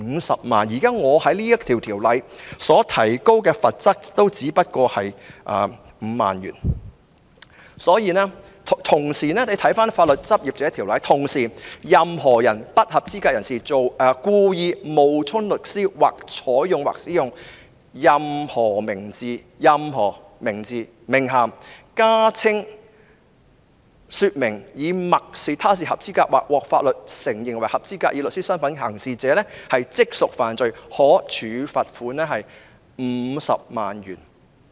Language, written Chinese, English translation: Cantonese, 大家可以參看《法律執業者條例》，當中規定"任何不合資格人士故意冒充律師，或採用或使用任何名字、名銜、加稱或說明以默示他是合資格或獲法律承認為合資格以律師身分行事者，即屬犯罪......可處罰款 $500,000。, Members may refer to the Legal Practitioners Ordinance which states that any unqualified person who wilfully pretends to be or takes or uses any name title addition or description implying that he is qualified or recognized by law as qualified to act as a solicitor shall be guilty of an offence and shall be liable a fine of 500,000